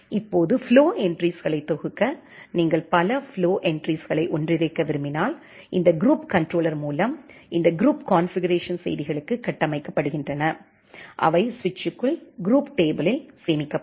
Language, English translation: Tamil, Now to group the flow entries, if you want to group multiple flow entries together, these groups are configured by the controller to this group configuration messages that can be stored into group tables inside switch